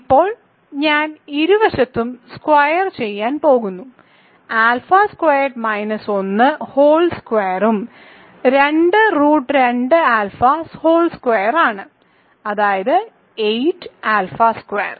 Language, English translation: Malayalam, Now I square both sides alpha squared minus 1 whole squared is 2 root 2 alpha whole squared that is 8 alpha squared right